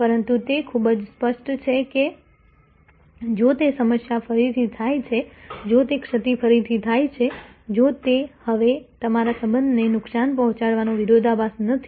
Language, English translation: Gujarati, But, it is very clear that if that problem happens again, if that lapse happens again, then it is no longer a paradox your actually damage the relationship